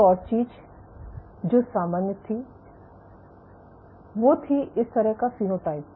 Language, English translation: Hindi, One more thing which was common so, this kind of phenotype